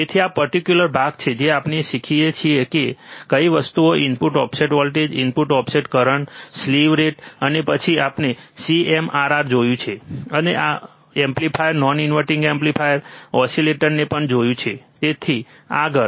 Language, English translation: Gujarati, So, this is the theory part we learn what are the things input offset voltage input offset current slew rate, and then we have seen CMRR, we have also seen inverting amplifier non inverting amplifier oscillators and so on so forth